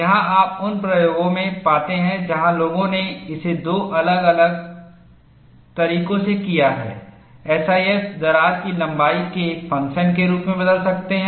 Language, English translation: Hindi, Here, you find, in experiments, where people have done it for two different ways SIF can change, as the function of crack length